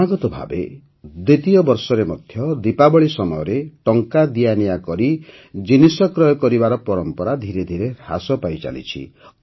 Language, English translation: Odia, This is the second consecutive year when the trend of buying some goods through cash payments on the occasion of Deepawali is gradually on the decline